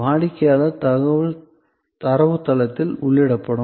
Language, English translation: Tamil, Customer information will be entered into the data base